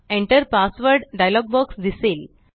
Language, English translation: Marathi, The Enter Password dialog box appears